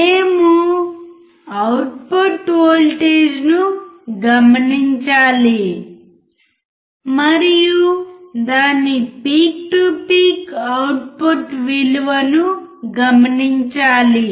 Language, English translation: Telugu, We have to observe the output voltage and note down its peak to peak output value